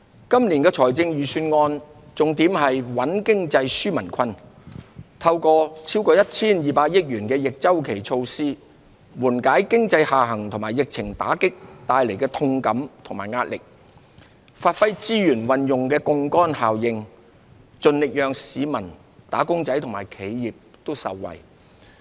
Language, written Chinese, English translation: Cantonese, 今年的財政預算案重點在穩經濟、紓民困，透過逾 1,200 億元的逆周期措施，緩解經濟下行及疫情打擊帶來的痛感與壓力，發揮資源運用的槓桿效應，盡力讓市民、"打工仔"和企業也受惠。, This years Budget focuses on stabilizing the economy and relieving peoples burden . It aims to alleviate the hardship and pressure caused by the economic downturn and the epidemic through the introduction of counter - cyclical measures costing over 120 billion; and seeks to create a leverage effect to benefit our people workers as well as enterprises